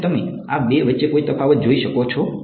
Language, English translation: Gujarati, Can you visual it any difference between these two